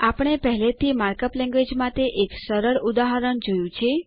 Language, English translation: Gujarati, We already saw one simple example of the mark up language